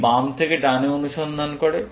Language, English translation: Bengali, It searches from left to right